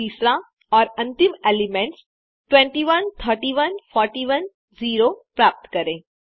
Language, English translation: Hindi, And then the third one and Final one, obtain the elements [21,31, 41, 0]